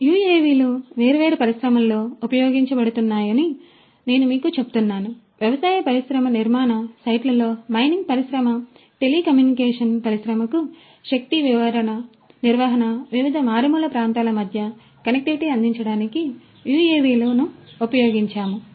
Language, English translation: Telugu, UAVs as I was telling you would be used in different industries; in agricultural industry construction sites mining industry, energy management for telecommunication industry, for offering connectivity between different remote places UAVs could be used